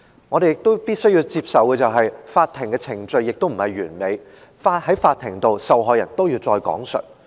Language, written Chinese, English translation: Cantonese, 我們亦必須接法庭的程序並不完美，受害人在法庭上還是要再次講述受害經歷。, We have to accept that the court proceedings are not perfect and the victims still need to recount their traumatic experience in court